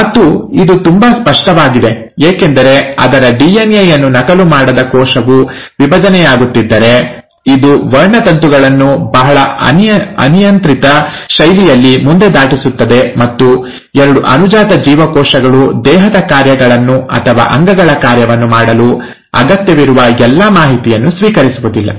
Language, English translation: Kannada, And it is very obvious because if a cell without even duplicating its DNA is going to divide, it is just going to pass on the chromosomes in a very arbitrary fashion and the two daughter cells will not receive all the necessary information to do the body functions or the organelle function